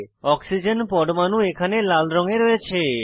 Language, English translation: Bengali, Oxygen atom is seen in red color here